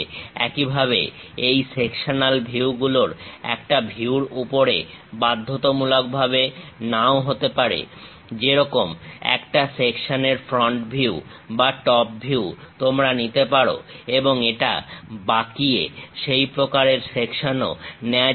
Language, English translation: Bengali, Similarly, these sectional views may not necessarily to be on one view; like front view you can take section or top view, it can be bent and kind of sections also